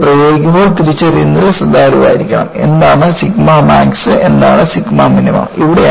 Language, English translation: Malayalam, And, when I apply this, I have to be careful in identifying, what sigma max is and what sigma minimum is